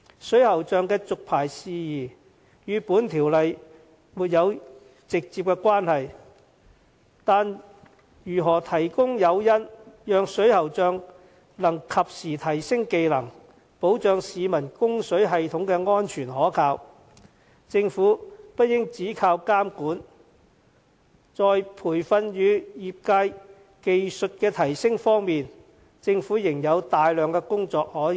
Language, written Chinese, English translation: Cantonese, 水喉匠的續牌事宜與《條例草案》沒有直接關係，但如何提供誘因，讓水喉匠能及時提升技能，保障市民供水系統的安全可靠，政府不應只靠監管，在培訓與業界技術提升方面，政府仍有大量工作可做。, While the licence renewal is not directly related to the Bill the Government will still need to consider how it can provide incentives to encourage plumbers to enhance their skills so as to ensure the safe and reliable plumbing system . In addition to the monitoring work the Government still has a lot to do to promote training and technical upgrades in the trade